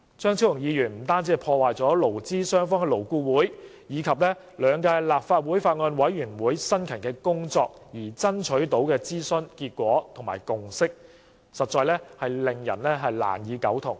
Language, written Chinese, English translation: Cantonese, 張超雄議員的修正案破壞了勞資雙方在勞顧會及兩屆立法會法案委員會辛勤工作而爭取到的諮詢成果和共識，令人難以苟同。, Dr Fernando CHEUNGs amendments have ruined the outcome and consensus of consultation that employer and employee representatives had strived for so industriously in both LAB and the respective Bills Committee of the two terms of the Legislative Council . We can hardly give our consent